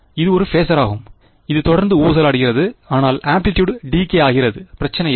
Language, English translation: Tamil, It is a phaser which is constantly oscillating, but the amplitude is decaying no problem